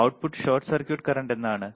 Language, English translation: Malayalam, What is output short circuit current